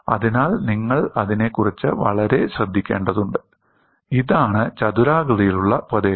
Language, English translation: Malayalam, So, you will have to be very careful about that, this is the rectangular area